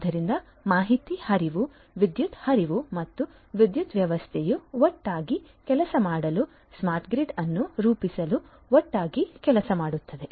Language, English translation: Kannada, So, information flow, power flow and power system together holistically works to offer to deliver a smart grid